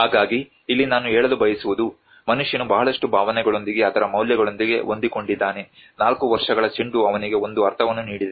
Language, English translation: Kannada, So here what I want to say here is, a man is attached with a lot of emotions, its values, 4 years that ball has given him a sense of being